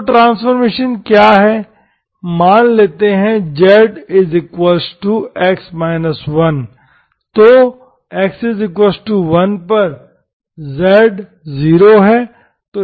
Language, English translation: Hindi, So let us, so what is the transformation, let z equal to x minus1